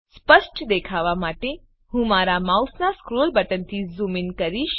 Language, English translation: Gujarati, I will zoom in using the scroll button of the mouse